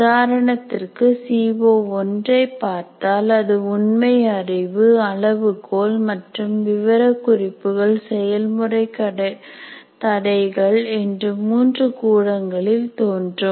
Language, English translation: Tamil, And if you look at CO1 for example, it will appear in three cells right from factual knowledge, criteria and specifications and practical constraints